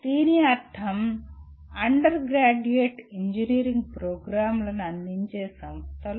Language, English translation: Telugu, What it means these are the institutions offering undergraduate engineering programs